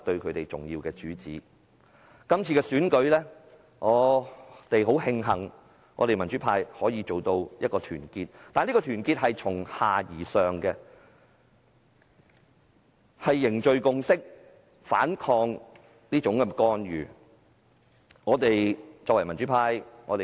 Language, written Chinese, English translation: Cantonese, 我們很慶幸在這次選舉中，我們民主派可以如此團結，但這團結是由下而上的，是凝聚共識和反抗干預而來的。, We are so glad that in this election the pan - democratic camp is so united . This bottom - up solidarity is built on the need to foster a consensus and resist interference